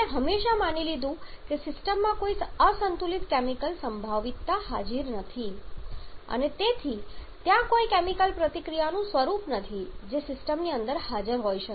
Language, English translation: Gujarati, We have always assumed that there is no unbalanced chemical potential present in the system and hence there is no form of chemical reaction that can be present inside the system